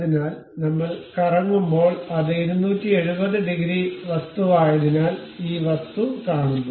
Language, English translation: Malayalam, So, when we revolve because it is 270 degrees thing we see this object